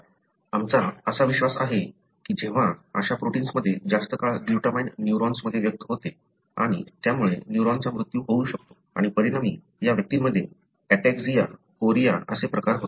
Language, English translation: Marathi, So, that is what we believe that when such protein having longer glutamine expressed in the neurons and that could lead to the death of the neuron and as a result, these individuals developed what do you call as ataxia, chorea